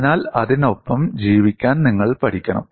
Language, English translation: Malayalam, So, you have to learn to live with that